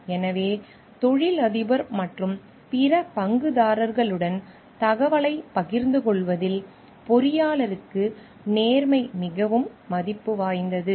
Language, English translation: Tamil, So, honesty is of utmost value for the engineer in sharing information with the employer as well as with the other stakeholders